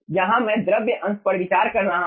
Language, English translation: Hindi, here i am considering fluid part